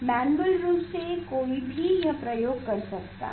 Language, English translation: Hindi, this manually one can do this experiment